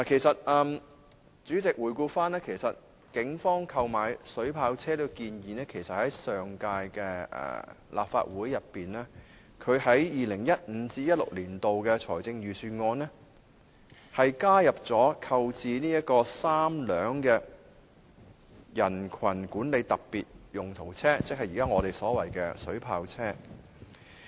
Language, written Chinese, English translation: Cantonese, 主席，回顧警方提出購買水炮車的建議......其實，在上屆立法會會期，警務處已於 2015-2016 年度的財政預算案中提出購置3輛"人群管理的特別用途車"，即我們現在所說的"水炮車"。, President looking back to the history of the Polices proposal for purchasing water cannon vehicles in fact the Police Force sought to procure three specialized crowd management vehicles ie . water cannon vehicles now under discussion as early as the last term of the Legislative Council under the 2015 - 2016 Budget